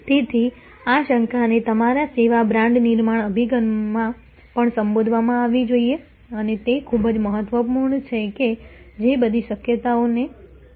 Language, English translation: Gujarati, So, this doubtful pay off must also be addressed in your service brand building approach and very important that take how to all possibilities unpleasantness